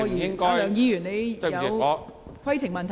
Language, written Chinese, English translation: Cantonese, 梁議員，你是否有規程問題？, Mr LEUNG do you have a point of order?